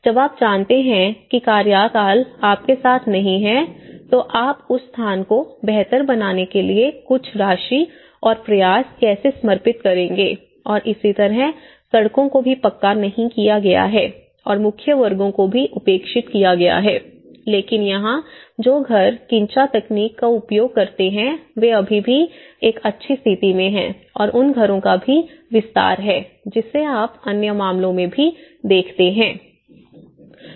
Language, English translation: Hindi, When you know, that the tenure is not with you, how will you dedicate some amount and effort to make that place better and similarly the streets have not been paved and the main squares has also been neglected and but the houses which here also they use this quincha technique and they are still in a good conditions and there also extension of the homes which you see in the other cases as well